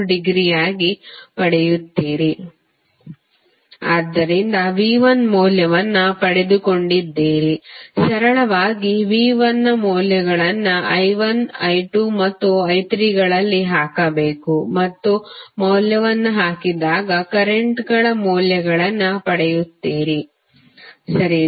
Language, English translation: Kannada, So, you have got the value of V 1 simply you have to put the values of V 1 in I 1, I 2 and I 3 and when you will put the value you will get the values of currents, right